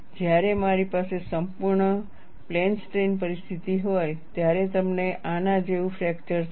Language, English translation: Gujarati, When I have a complete plane strain situation, you will have a fracture like this